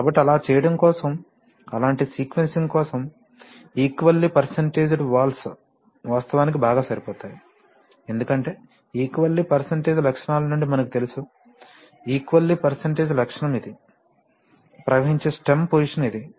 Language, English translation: Telugu, So for doing that, that is why it is for such kind of sequencing, equal percentage valves are actually better suited, because as we know from the equal percentage characteristics, the equal percentage characteristic is like this right, stem position to flow